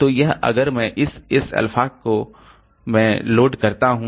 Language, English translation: Hindi, So, so this S into alpha